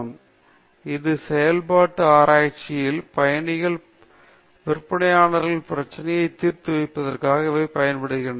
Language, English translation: Tamil, So, this, in operation research, they will use this to solve the travelling salesman problem and so on okay